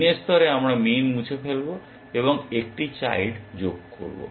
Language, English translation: Bengali, At min level we will remove min and add one child